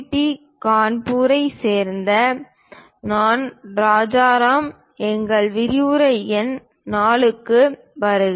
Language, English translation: Tamil, I am Rajaram from IIT Kharagpur, welcome to our lecture number 4